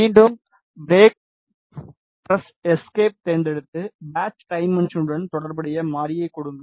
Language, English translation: Tamil, Again select break press escape and then give variable corresponding to the patch dimension